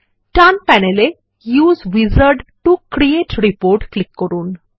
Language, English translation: Bengali, On the right panel, let us click on Use Wizard to create report